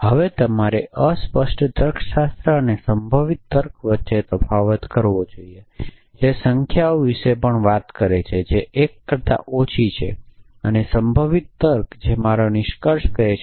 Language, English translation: Gujarati, Now, you must distinguish between fuzzy logic which also is talking about numbers which are less than 1 and probabilistic reasoning which says my conclusion